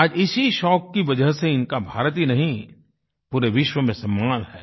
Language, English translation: Hindi, Today, due to this hobby, he garnered respect not only in India but the entire world